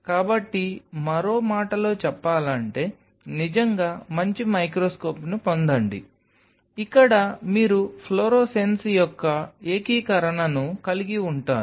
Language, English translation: Telugu, So, in other word then get a really good microscope, where you have an integration of the fluorescence